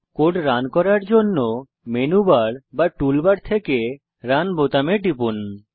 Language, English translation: Bengali, Click on the Run button from Menu bar or Tool bar to run the code